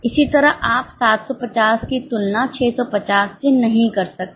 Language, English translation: Hindi, Same way you cannot compare 750 with 650